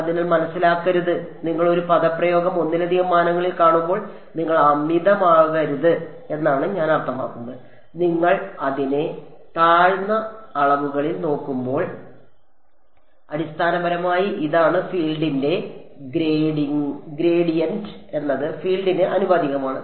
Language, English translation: Malayalam, So, do not get I mean you should not get overwhelmed when you see an expression in multiple dimensions, when you look at it in lower dimensions this is basically what it is gradient of field is proportional to the field itself